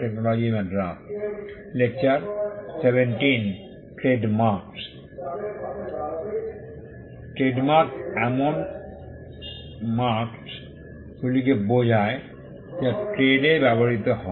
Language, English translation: Bengali, Trademarks referred to marks that are used in trade